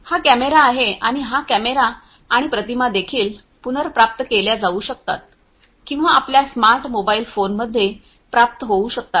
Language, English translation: Marathi, And this is this camera and this camera and the images could also be retrieved or what could be received in your mobile phones the smart phones and so on